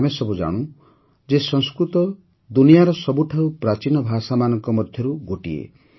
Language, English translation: Odia, We all know that Sanskrit is one of the oldest languages in the world